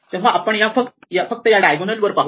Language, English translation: Marathi, So, we only look at this diagonal